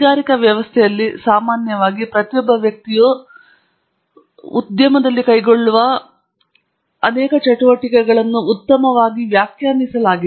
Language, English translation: Kannada, In the industrial setting, typically, the activities that each person carries out in the industry is actually well defined